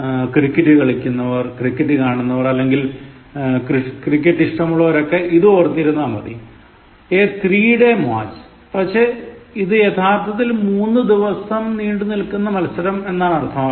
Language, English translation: Malayalam, Similarly, the most interesting example, those who play cricket or watch cricket or fond of cricket remember this, a three day match, but actually it means a match lasting for three days or a match of three days